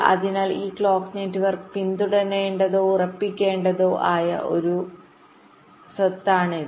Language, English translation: Malayalam, ok, so this is one property that this clock network should follow or ensure